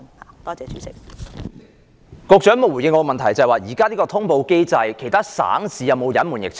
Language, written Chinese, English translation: Cantonese, 局長沒有回應我的補充質詢，我問在目前的通報機制下，其他省市有否隱瞞疫情？, The Secretary has not answered my supplementary question . I asked whether other provinces and cities are covering up the outbreak under the existing notification mechanism